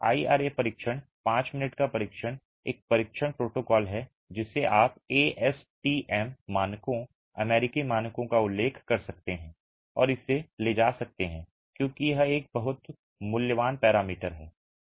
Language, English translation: Hindi, The IRA test, the five minute test is a test protocol that you can refer to the ASTM standards, the American standards and carry it out because it is a very valuable parameter